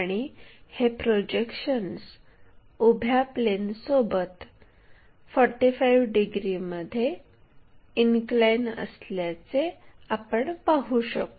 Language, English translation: Marathi, When we are having projections, this projection we can see 45 degrees inclination with the vertical plane